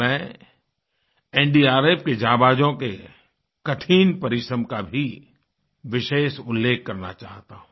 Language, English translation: Hindi, I would like to specially mention the arduous endeavors of the NDRF daredevils